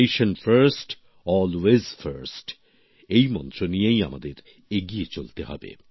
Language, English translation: Bengali, We have to move forward with the mantra 'Nation First, Always First'